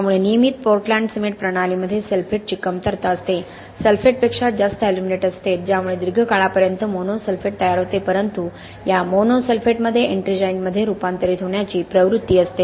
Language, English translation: Marathi, So in a regular portland cement system it is sulphate deficient there is lot more aluminate than sulphate because of which it leads to the formation of mono sulphate in the long run but this mono sulphate has a tendency to convert to ettringite